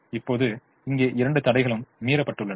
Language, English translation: Tamil, now here both the constraints are violated